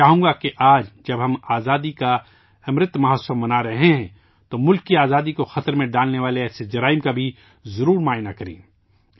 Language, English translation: Urdu, I wish that, today, when we are celebrating the Azadi Ka Amrit Mahotsav we must also have a glance at such crimes which endanger the freedom of the country